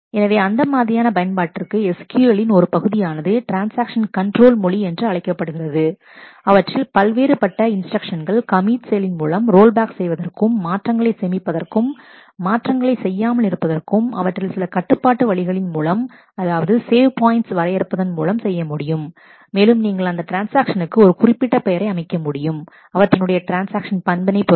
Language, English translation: Tamil, So, for that purpose a part of SQL called the transaction control language has different instructions commit to save the changes roll back to roll back, the changes undo the changes and also to do some do, it in some controlled way by defining savepoint and you can also set the a particular name to a transaction and it is behavior